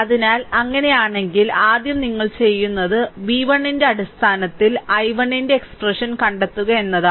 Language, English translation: Malayalam, So, if it is, if it is so then first what you do is you find out the expression of i 1 in terms of v 1